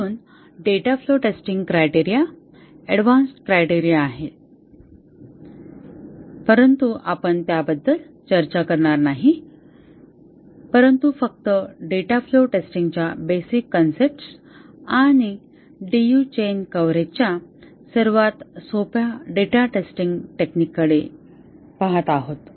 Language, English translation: Marathi, There are other data flow testing criteria, more advanced criteria, but we are not going to discuss those, but just looking at the basic concepts of data flow testing and the simplest data flow testing technique which is the DU chain coverage